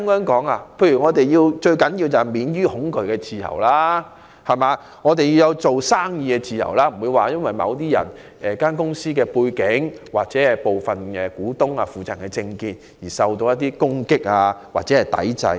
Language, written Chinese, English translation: Cantonese, 舉例來說，我們最重要的是要有免於恐懼的自由和做生意的自由，不會有公司因其背景、其股東或負責人的政見而受到攻擊或抵制。, Why do I say so? . For example it is most important that we should have the freedom from fear and the freedom to do business and no company will be attacked or boycotted for its background or the political views expressed by its shareholders or persons in charge